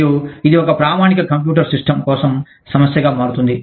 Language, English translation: Telugu, And, that becomes a problem, for a standard computer system